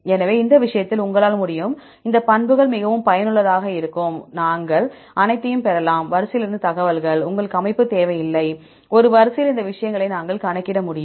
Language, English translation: Tamil, So, in this case, you can, these properties will be very useful, we can get all the information from the sequence, you don’t need the structure, in a sequence, we can calculate these things